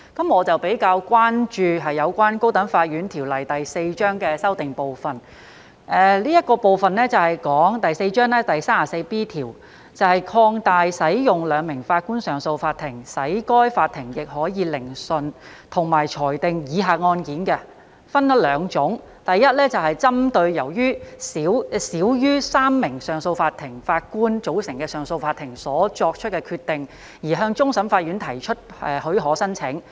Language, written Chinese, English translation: Cantonese, 我比較關注有關《高等法院條例》的修訂部分，這部分是有關第4章第 34B 條，即擴大使用兩名法官上訴法庭，使該法庭亦可以聆訊，以及裁定以下案件，分為兩種，第一，針對由少於3名上訴法庭法官組成的上訴法庭所作的決定而要求批予向終審法院提出上訴許可申請。, 4 which seeks to amend section 34B of Cap . 4 . That is to extend the use of a two - Judge bench of the Court of Appeal CA to hear and determine i applications for leave to the Court of Final Appeal CFA against the decisions made by CA consisting of less than three Justices of Appeal; and ii appeals against decisions made by the Court of First Instance CFI to refuse to grant leave to apply for judicial review JR or to grant such leave on terms pursuant to Order 53 rule 34 of the Rules of the High Court Cap